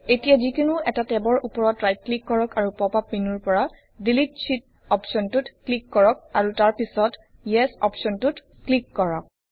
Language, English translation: Assamese, Now right click over one of the tabs and click on the Delete Sheet option from the pop up menu and then click on the Yes option